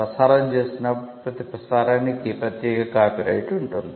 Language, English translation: Telugu, When a broadcast is made every broadcast has a separate copyright vested on it